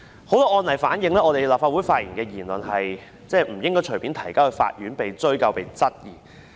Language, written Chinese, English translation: Cantonese, 很多案例反映在立法會發表的言論不應該隨意提交法院，被追究及質疑。, Many court cases show that the views expressed in the Legislative Council should not be referred to the Court investigated and queried at will